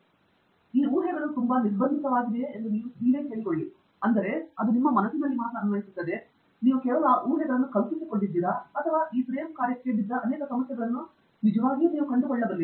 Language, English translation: Kannada, And also ask yourself whether those assumptions are too restrictive; I mean it only applies to your mind and it only that you have conceived of those assumptions or do you really find many problems falling into this frame work